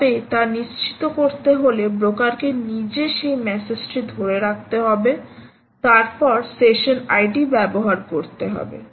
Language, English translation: Bengali, so, but if you want to ensure that the broker actually has to retain that message on itself, then you use this session id accordingly